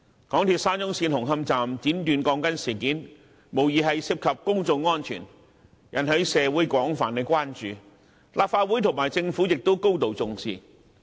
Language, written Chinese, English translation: Cantonese, 港鐵沙中線紅磡站剪短鋼筋事件無疑涉及公眾安全，並已引起社會廣泛關注，而立法會和政府亦高度重視。, There is no doubt that the cutting of steel bars at Hung Hom Station of SCL involves public safety and has aroused widespread public concern . The Legislative Council and the Government have also attached great importance to the incident